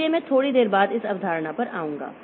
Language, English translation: Hindi, So, I'll come to this concept slightly later